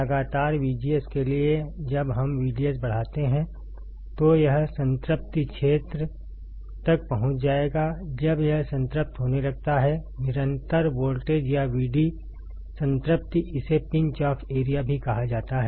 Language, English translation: Hindi, For constant V G S when we increase V D S, it will reach to a saturation region; when it starts saturating, the constant voltage or V D saturation, it also called the Pinch off region